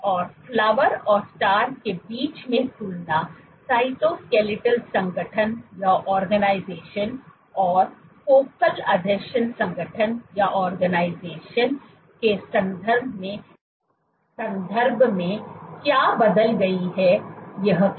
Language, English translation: Hindi, And the compared between the Flower and the Star what has changed in terms of the cytoskeletal organization and the focal adhesion organization